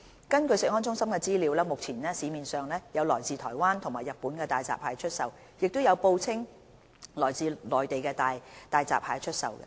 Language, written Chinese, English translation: Cantonese, 根據食安中心的資料，目前市面上有來自台灣及日本的大閘蟹出售，亦有報稱來自內地的大閘蟹出售。, According to CFS information there are hairy crabs imported from Taiwan and Japan being sold in the local market . Also there are hairy crabs claimed to be imported from the Mainland being sold in the local market